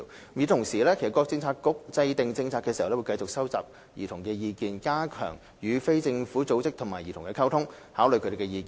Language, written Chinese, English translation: Cantonese, 與此同時，各政策局在制訂政策時，會繼續收集兒童的意見，加強與非政府組織及兒童的溝通，參考他們的意見。, At the same time in the course of policy formulation various Policy Bureaux will continue to gauge childrens views strengthen their communication with non - governmental organizations NGOs and children and draw reference from their views